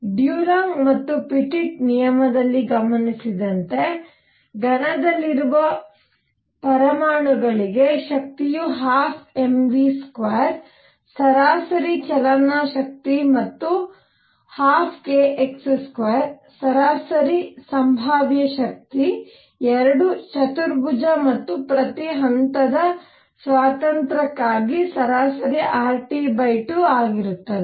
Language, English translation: Kannada, What Dulong and Petit law observed is that for atoms in a solid, energy is 1 half m v square average kinetic energy and 1 half k x square average potential energy both are quadratic and both average R T by 2 R T by 2 for each degree of freedom